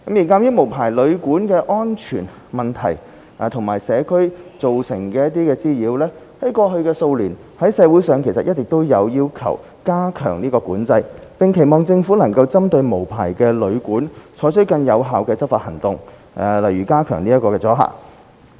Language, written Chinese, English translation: Cantonese, 鑒於無牌旅館的安全問題及可能在社區造成的滋擾，過去數年，社會上一直有意見要求加強管制，並期望政府能針對無牌旅館，採取更有效的執法行動，例如加強阻嚇。, In the light of the safety problem of and the possible nuisance to the community caused by unlicensed hotels and guesthouses over the past few years there have been public opinions asking to enhance regulation and public aspirations for more effective enforcement actions from the Government against unlicensed hotels and guesthouses such as enhancing deterrence